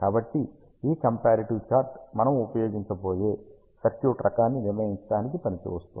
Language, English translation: Telugu, So, this comparative chart comes to rescue, when we decide the type of circuit that we are going to use